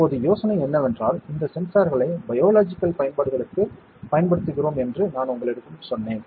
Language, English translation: Tamil, Now, the idea is that I have told you that we are using these sensors for biological applications, right